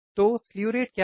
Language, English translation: Hindi, So, what is slew rate